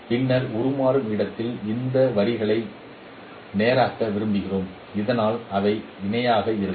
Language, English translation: Tamil, And then in the transformed space we would like to straighten this line so that they look like parallel